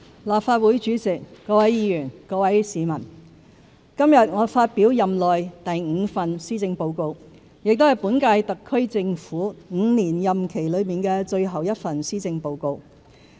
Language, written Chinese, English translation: Cantonese, 立法會主席、各位議員、各位市民：今天我發表任內第五份施政報告，也是本屆香港特別行政區政府5年任期內的最後一份施政報告。, Mr President Honourable Members and fellow citizens Today I present the fifth Policy Address in my term of office which is also the last one of the current - term Hong Kong Special Administrative Region HKSAR Governments five - year tenure